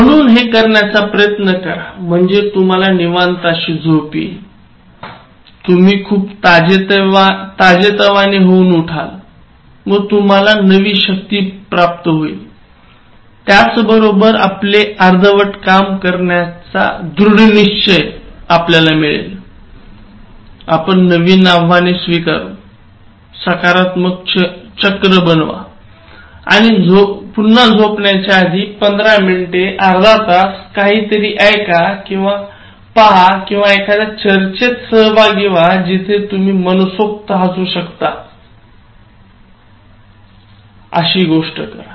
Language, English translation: Marathi, So, try to do that, so it will give you a very relaxed kind of sleep, you will get up in a very refreshed mood and then you will be having all the strength and then determination to complete the pending activities very quickly and take up new challenges and then again like make it a positive cycle, so again before going to bed 15 minutes, half an hour, just listen or watch or be in part of discussion with people, where you can actually laugh, give that whole hearted laugh